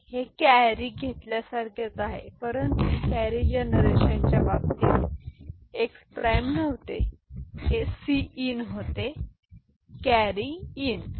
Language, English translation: Marathi, It is similar to carry, but in the carry generation case this was not x prime this was c in, carry in ok